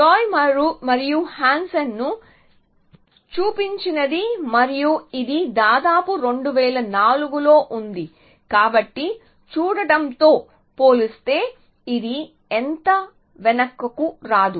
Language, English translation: Telugu, What Zhou and Hansen showed and this was around 2004, so it is not so back in time compared to looking at